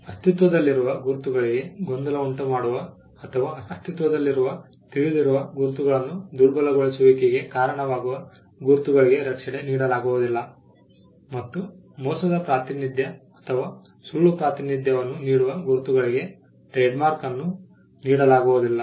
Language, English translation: Kannada, Marks which conflict with existing marks which can cause confusion with existing marks or cause dilution of existing known marks will not be granted protection and marks that make a fraudulent representation or a false representation will not be granted trade mark